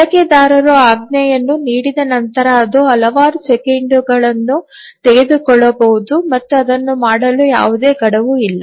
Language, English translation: Kannada, Once the user gives the command it may take several seconds and there is no hard deadline by which it needs to do it